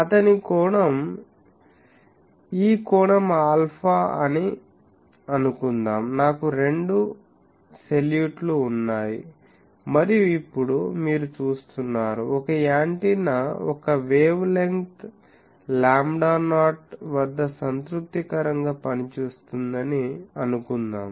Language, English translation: Telugu, Suppose his point was that this angle is alpha, I have two salutes and now there you see, his point was suppose an antenna is operates satisfactorily at a wavelength lambda not